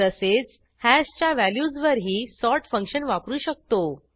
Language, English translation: Marathi, Similarly, we can use the sort function on values of hash